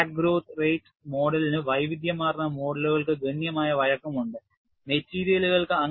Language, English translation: Malayalam, So, the crack growth rate model has considerable flexibility to model a wide variety of materials